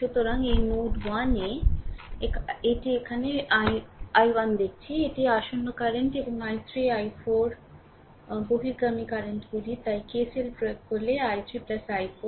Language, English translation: Bengali, So, at this node node 1 I am putting it here look i 1, this is the incoming current and i 3 i 4 is outgoing currents so, i 3 plus i 4 if you apply KCL right